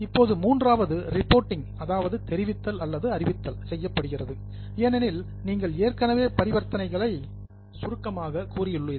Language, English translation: Tamil, Now, in the third step, reporting is done because you already have summarized the transactions now